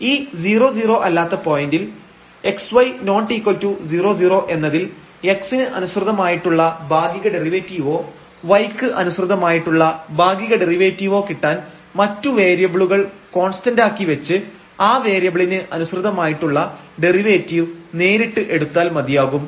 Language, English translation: Malayalam, So, at this non zero point x y not equal to 0 0 we can get the derivative partial derivative with respect to x or partial derivatives with respect to y directly from directly taking derivative of this function with respect to that variable and keeping the other variable as constant